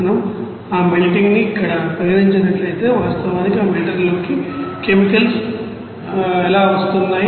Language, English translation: Telugu, If we consider that melter here the what will be the you know chemicals are actually coming into this melter